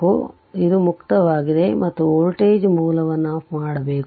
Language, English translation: Kannada, So, it is open and voltage source is should be turned off